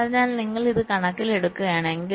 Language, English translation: Malayalam, so if you take this into account, so i